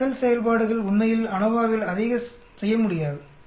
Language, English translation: Tamil, The excel functions cannot really do too much of ANOVA at all in this